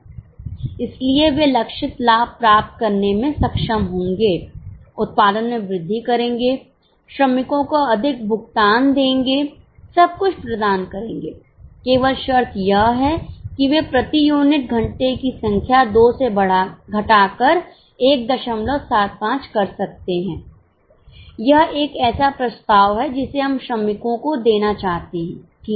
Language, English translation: Hindi, So, they will be able to achieve the target profit, increase the production, give more payment to workers, do everything provided, they can reduce the number of hours per unit from 2 to 175